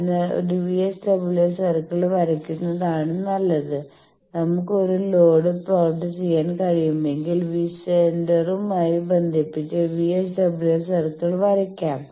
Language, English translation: Malayalam, So, better draw a VSWR circle that if we can plot a load then we can draw the VSWR circle by connecting with the centre